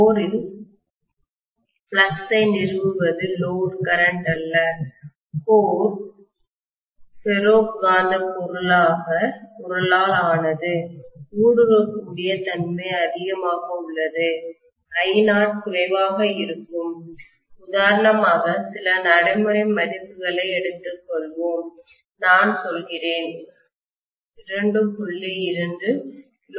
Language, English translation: Tamil, That is the no load current which is establishing the flux in the core and the core is made up of ferromagnetic material the permeability is really really high because of the which I naught is going to be low, let’s take for example some practical values, let’s say I am going to take a 2